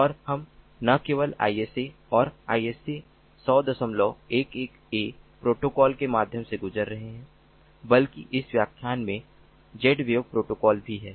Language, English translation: Hindi, we have not only gone through the isa and ah isa hundred point ah, eleven, a protocol, ah, but also the z wave protocol